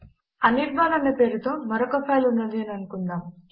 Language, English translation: Telugu, Say we have another file named anirban